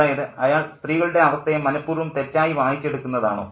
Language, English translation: Malayalam, Is he deliberately misreading the state of affairs of the women